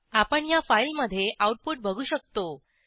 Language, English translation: Marathi, We can now see the output in this file